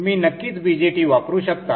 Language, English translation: Marathi, You can definitely use the BJT